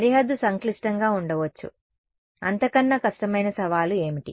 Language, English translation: Telugu, Boundary may be complicated, what is the more difficult challenge